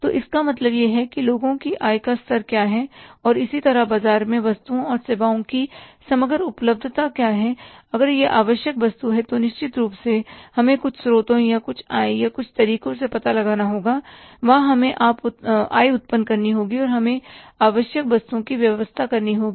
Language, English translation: Hindi, So, it means looking at that, that what is the income level of the people and similarly the overall availability of the goods and services in the market, if it is an essential item, certainly we will have to find out the some sources or some income or some avenues from where we have to generate income and we have to arrange for the necessities